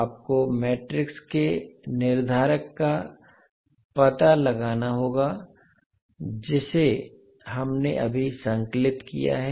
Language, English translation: Hindi, You have to just find out the determinant of the matrix which we have just compiled